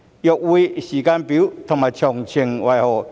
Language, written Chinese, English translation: Cantonese, 若會，時間表及詳情為何？, If so what are the timetable and the details?